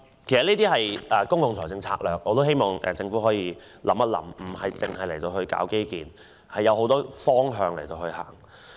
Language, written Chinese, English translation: Cantonese, 這些都是公共財政策略，我希望政府想清楚，不僅要搞基建，還有很多其他方面要顧及。, This is a strategy for public finances . I hope the Government can think over it thoroughly and give more attention to aspects other than infrastructure